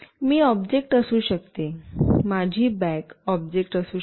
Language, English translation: Marathi, I could be an object, my bag could be an object